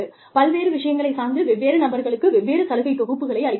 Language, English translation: Tamil, Different bundles for different people, different groups, depending on various things